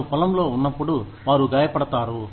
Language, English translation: Telugu, When they are in the field, they get hurt